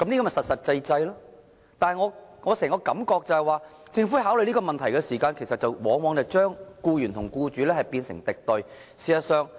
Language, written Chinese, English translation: Cantonese, 我對整件事的感覺是，政府在考慮問題時往往把僱員和僱主變成敵對雙方。, My impression of the whole matter is that in considering the issue the Government often treats employers and employees as two opposing parties